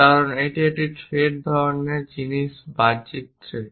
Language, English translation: Bengali, So, those threads what you call external threads